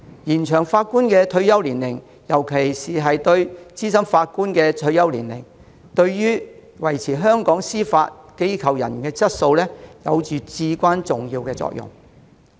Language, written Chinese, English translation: Cantonese, 延長法官的退休年齡，尤其是資深法官的退休年齡，對於維持香港司法機構人員的質素，有至關重要的作用。, Extending the retirement age of judges especially senior judges has a vital role in maintaining the quality of judicial officers in Hong Kong